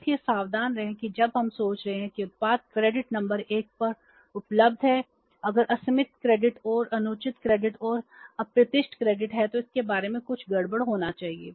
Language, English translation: Hindi, So be careful that when we are thinking that product is available on the credit number 1 if there is a unlimited credit and due credit and unexpected credit then there must be something fishy about it